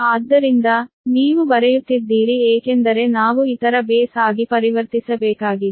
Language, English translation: Kannada, so you are writing a because we have to convert into the other base